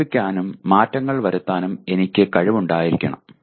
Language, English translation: Malayalam, I should have the ability to reflect and keep making adjustments